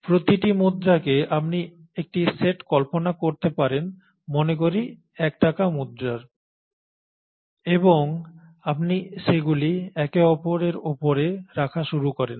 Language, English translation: Bengali, Each coin you can visualize a set of let us say 1 rupee coin and you start putting them one above the other